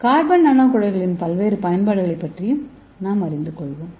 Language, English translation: Tamil, So let us see the various applications of carbon nano tube